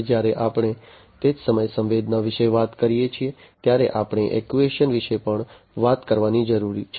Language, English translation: Gujarati, Now, when we talk about sensing at the same time we also need to talk about actuation